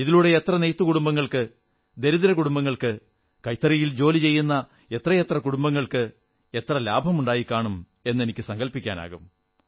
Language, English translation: Malayalam, I can imagine how many weaver families, poor families, and the families working on handlooms must have benefitted from this